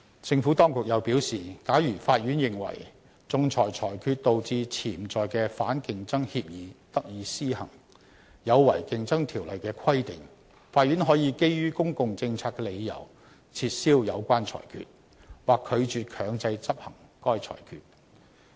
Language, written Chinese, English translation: Cantonese, 政府當局又表示，假如法院認為仲裁裁決導致潛在的反競爭協議得以施行，有違《競爭條例》的規定，法院可基於公共政策的理由，撤銷有關裁決，或拒絕強制執行該裁決。, The Administration has further explained that if the Court finds that an arbitral award gives effect to an underlying anti - competitive agreement contrary to CO it may set aside the award or refuse to enforce it on the ground of public policy